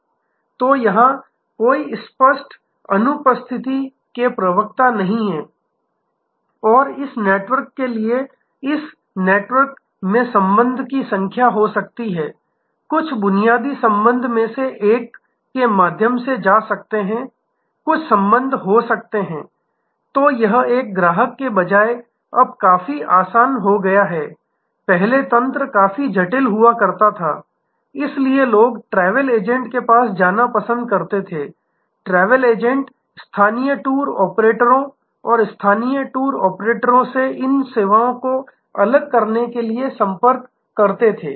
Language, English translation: Hindi, So, there are no explicit absence spokes here and this network to this network there can be number of connections, some connections may go through one of the nodes, some connections may be… So, it has become quite easy now for a customer, earlier the logistics used to be quite complicated, so people preferred to go to a travel agent, travel agent can contacted local tour operators and local tour operators sort of aggregated these services